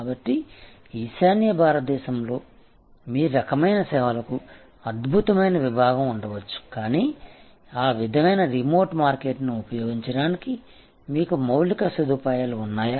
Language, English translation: Telugu, So, there may be a excellent segment for your kind of service in north east India, but do you have the infrastructure to access the that sort of remote market